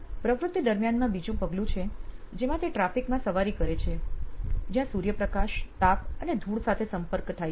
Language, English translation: Gujarati, The second step during the phase is she rides in traffic exposed to sunlight, heat and dust